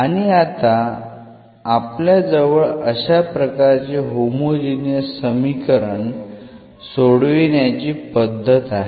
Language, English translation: Marathi, And now we have the solution technique which we can use for solving this such a homogeneous equation